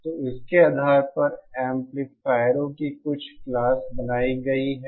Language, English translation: Hindi, So depending on this, certain Classes of amplifiers have been formed